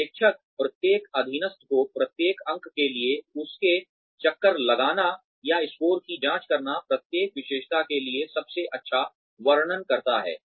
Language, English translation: Hindi, Supervisor rates each subordinate, by circling or checking the score, that best describes his or her performance, for each trait